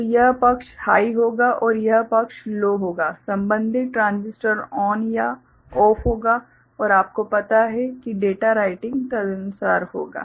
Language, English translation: Hindi, So, this side will be high and this side will be low corresponding transistors will be you know ON or OFF and you know the data writing will takes place accordingly